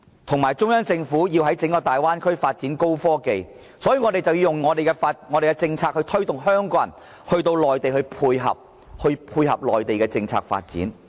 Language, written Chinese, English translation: Cantonese, 由於中央政府要在整個大灣區發展高科技產業，所以我們便要以我們的政策推動香港人到內地，配合其政策發展。, He argues that since the Central Government is going to develop high - tech industries in the Bay Area we must dovetail with this policy and draw up measures to encourage Hong Kong people to move to the Mainland